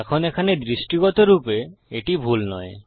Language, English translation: Bengali, Now there isnt anything visually wrong with this